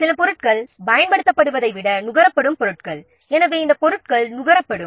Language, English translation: Tamil, These are the items those are consumed rather than being used